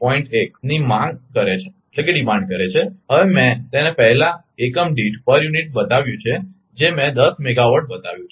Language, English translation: Gujarati, 1 per unit megawatt, I have now made it power previous 1 I showed 10 megawatt